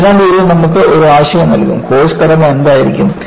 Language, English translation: Malayalam, So, this will give you an idea, what will be the course structure